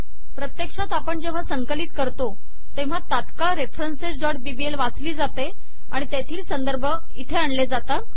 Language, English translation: Marathi, As a matter of fact, the moment we compile this file references.bbl is read, and those references are loaded here